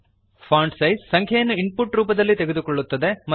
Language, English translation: Kannada, Fontsize takes number as input, set in pixels